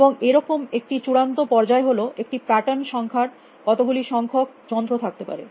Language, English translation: Bengali, And one extreme is that number of devices pattern number can have